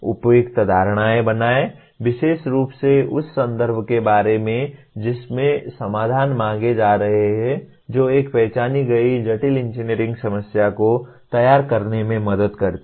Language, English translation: Hindi, Make appropriate assumptions, especially about the context in which the solutions are being sought that help formulate an identified complex engineering problem